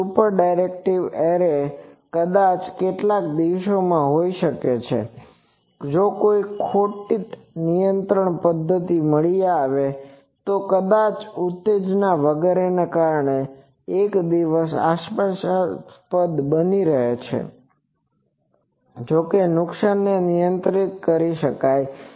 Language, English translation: Gujarati, So, these super directive arrays are no, but maybe in some day if some loss control mechanism is found then that can be a promising one maybe someday because maybe the excitation etce